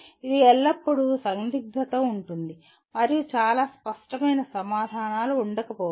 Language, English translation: Telugu, It is always the dilemma would be there and there may not be very clear answers